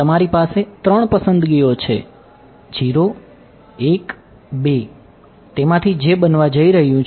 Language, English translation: Gujarati, You have three choices 0 1 2 which of those is going to be